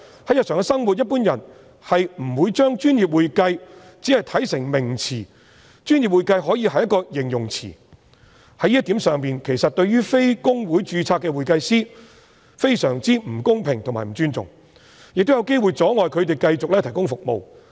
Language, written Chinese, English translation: Cantonese, 在日常生活中，一般人不會把"專業會計"看成一個名詞，"專業會計"可以是一個形容詞，在這一點上，其實對於非公會註冊的會計師非常不公平及不尊重，亦有機會阻礙他們繼續提供服務。, In everyday life people in general will not regard the description professional accounting as a noun; they may regard it as an adjective . In this regard the proposed prohibition is actually very unfair and disrespectful to accountants who are not registered with HKICPA and these people may even be prohibited from continuing to provide services